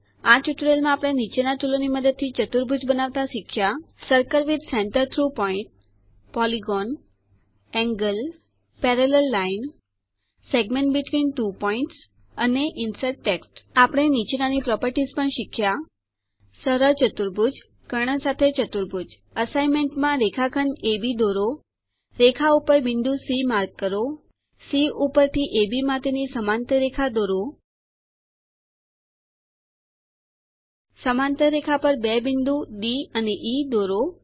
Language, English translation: Gujarati, In this tutorial, we have learnt to construct quadrilaterals using the tools Circle with centre through point, Polygon, Angle, Parallel line, Segment between two points and Insert Text We also learnt the properties of Simple quadrilateral and Quadrilateral with diagonals As an assignment I would like you to Draw a line segment AB Mark a point C above the line Draw a parallel line to AB at C Draw two points D and E on the Parallel Line Join points AD and EB